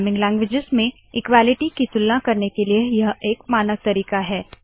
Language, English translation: Hindi, This is the standard way to compare the equality in programming languages